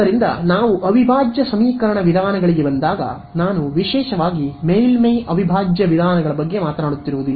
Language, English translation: Kannada, So, by integral equation methods, I am particularly talking about surface integral methods ok